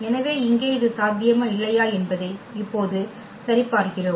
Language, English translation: Tamil, So, whether here it is possible or not we will check now